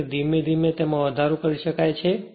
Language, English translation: Gujarati, So, gradually it can be increased